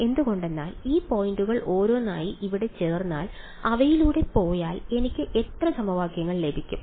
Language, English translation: Malayalam, Why because if I put these points in over here one by one if I go through them how many equations will I get